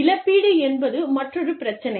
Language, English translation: Tamil, Compensation is another issue